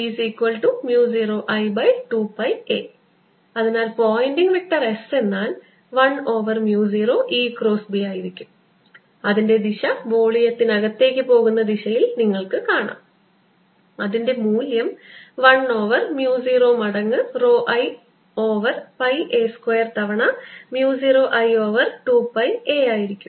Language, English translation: Malayalam, so the pointing vector s is going to be one over mu zero, e cross b and you can see by looking at the direction that it is going to be pointing into the volume and its value is going to be one over mu zero times rho i over pi a square times mu zero i over two pi a